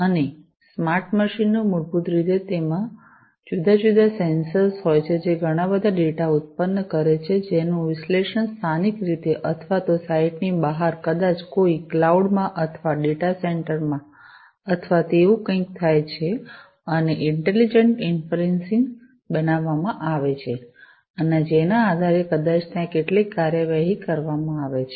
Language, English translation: Gujarati, And the smart machines basically, which have these different sensors produce lot of data, which are typically analyzed either locally or, off site, maybe in a cloud or, in a data center or, something of that sort, and intelligent inferencing is made and based on which, maybe there is some actuation that is performed